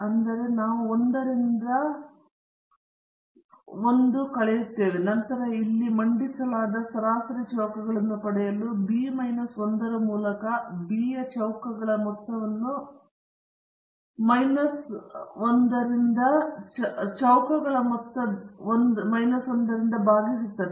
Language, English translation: Kannada, So, we subtract 1 from a and 1 from b and then we divide the sum of squares of a by a minus 1 sum of squares of b by b minus 1 to get the mean squares that is what is presented here